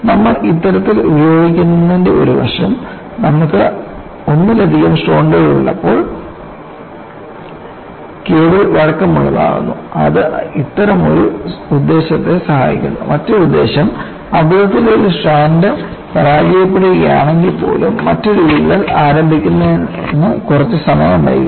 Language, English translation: Malayalam, See, one aspect is when you have multiple strands, you want the cable to be flexible;it serves one such purpose; the other such purpose is even if by mistake one strand fails, there would be some time lag before another crack initiates